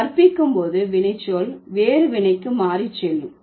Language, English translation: Tamil, And in case of teaches, the verb teach changes to another verb again